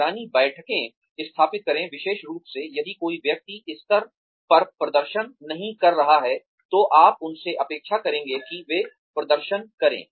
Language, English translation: Hindi, Establish monitoring meetings, is especially, if a person has not been performing to the level, that you would expect them to do, perform